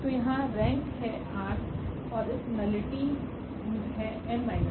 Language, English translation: Hindi, So, here the rank is r and this nullity is n minus r